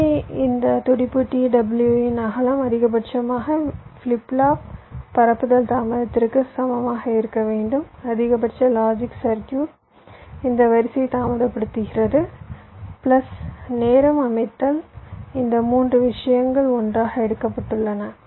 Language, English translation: Tamil, so the condition is your: this width of the pulse, t w must be equal to maximum of flip flop propagation delay maximum of this logic circuit, delay this order i am saying plus setup of time